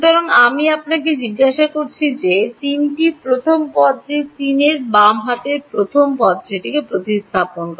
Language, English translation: Bengali, So, I am asking you what is the first term of 3 left hand side of 3 first term having substituted this